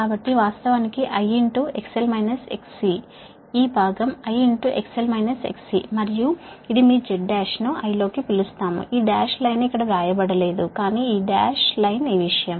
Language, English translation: Telugu, and this is that your, what you call, that z as into your i, right, this dash line not written here, but this dash line is this thing